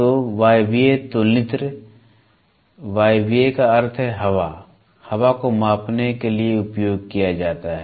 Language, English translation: Hindi, So, Pneumatic comparator, pneumatic means air, air is used for measuring